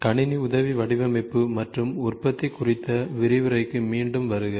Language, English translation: Tamil, Welcome back to the lecture on Computer Aided Design and manufacturing